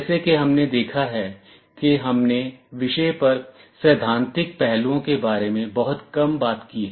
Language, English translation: Hindi, As we have seen we have talked very little about theoretical aspects on the subject